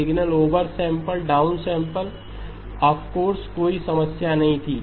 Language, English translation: Hindi, Over sample the signal, down sampled of course there was no issue